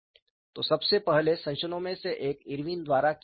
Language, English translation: Hindi, So, one of the earliest modification was done by Irwin